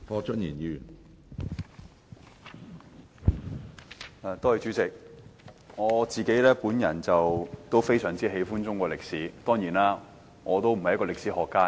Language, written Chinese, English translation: Cantonese, 主席，我非常喜歡中國歷史，但我當然不是歷史學家。, President I like Chinese history very much but of course I am no historian